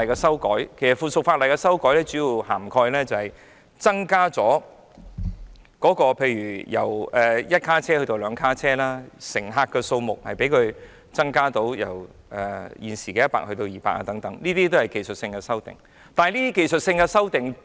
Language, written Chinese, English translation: Cantonese, 是次法例修訂所涵蓋的，主要包括提升系統以採用較大車廂，好能把乘客數目由現時的100人增至約200人，這些都是技術性修訂。, The current proposed amendments cover areas such as upgrading the system and enlarging the tramcars thereby increasing the tramcar capacity from 100 passengers to 200 passengers . All of these are just technical amendments